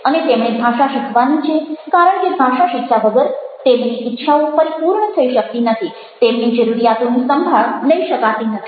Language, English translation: Gujarati, and they have to learn a language because without learning the language, their desires cannot be fulfilled, the needs cannot be taken care of